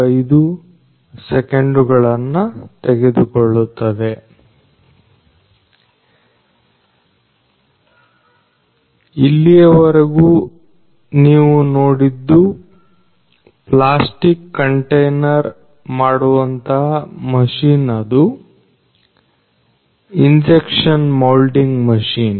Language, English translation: Kannada, So, what you have just seen so far is basically a plastic container making machine which is an injection moulding machine